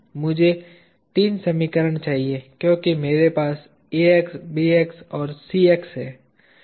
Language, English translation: Hindi, I need 3 equations because I have Ax, Bx and Cx